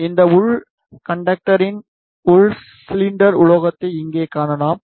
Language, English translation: Tamil, Here you can see this inner conductor inner cylinder metallic one